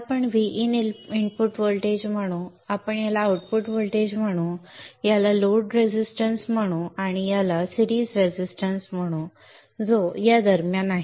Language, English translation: Marathi, We will call this one as V in, the input voltage, we'll call this as the output voltage, we will call this as the load resistor, and we will call this as the series resistance which is in between